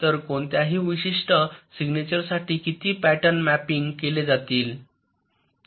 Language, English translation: Marathi, so for any particular signature, how many patterns will be mapping